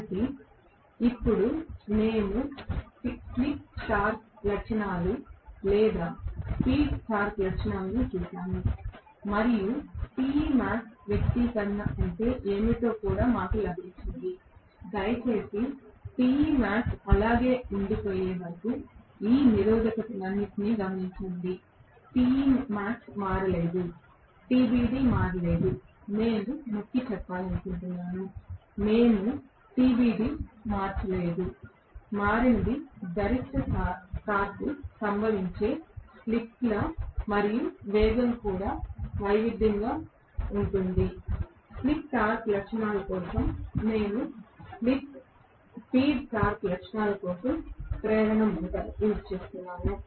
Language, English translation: Telugu, So, now that we have seen the slip torque characteristics or the speed torque characteristics and we have also got what is the Te max expression, please, note for all this resistances till Te max is remaining the same, that has not changed TBD has not changed right, I would like to emphasize that, we have not change TBD, only thing that has changed is the slip at which the maximum torque occurs and the speed also can be varied, so much for the slip torque characteristics and for the speed torque characteristics of the induction motor